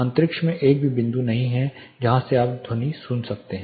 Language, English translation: Hindi, There is no single point in the space from which you are going to hear sound